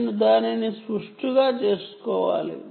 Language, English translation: Telugu, consciously, I have to make it symmetrical, right